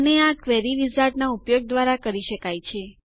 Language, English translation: Gujarati, And that is by using a Query Wizard